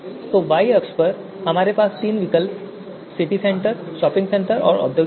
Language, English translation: Hindi, We have three alternatives, City Centre, shopping centre and industrial area